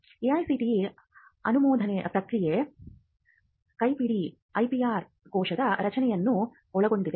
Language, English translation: Kannada, And the AICTE, approval process handbook mentions the creation of IPR cell